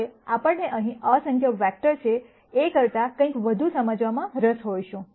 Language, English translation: Gujarati, Now, we might be interested in understanding, something more general than just saying that there are infinite number of vectors here